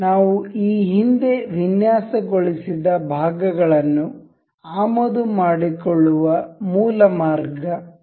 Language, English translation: Kannada, This is the basic way to import these parts that we have designed earlier